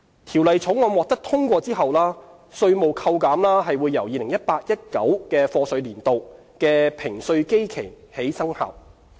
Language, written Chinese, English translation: Cantonese, 《條例草案》獲得通過後，稅務扣減由 2018-2019 課稅年度的評稅基期起生效。, If the Bill is passed the proposed tax deduction will take effect from the beginning of the basis period of the 2018 - 2019 assessment year